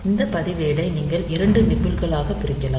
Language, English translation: Tamil, So, this register you can divide it into 2 nibbles